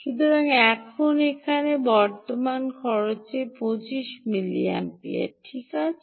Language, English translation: Bengali, so now the current consumption here is twenty five milliamperes